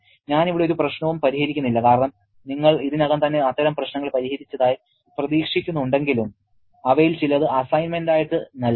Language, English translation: Malayalam, I am not solving any problem here because you are expected to have already solved such problems but some of these will be given in the assignments